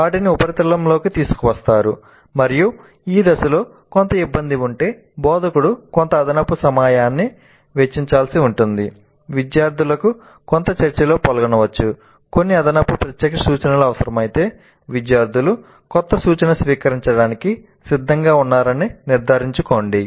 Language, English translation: Telugu, They are brought to the surface and in case there is some difficulty with this phase instructor may have to spend some additional time engaging the students in some discussion if required certain additional direct instruction to ensure that the students are prepared to receive the new instruction